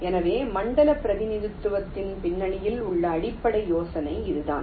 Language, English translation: Tamil, ok, so this is the basic idea behind zone representation